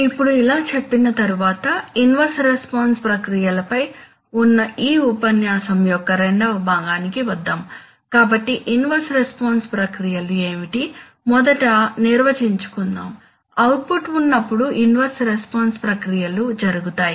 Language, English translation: Telugu, Now having said this, let us come to the second part of our lecture which is on inverse response processes, right, so what are inverse response processes, let us first define, typically inverse response processes occur when the output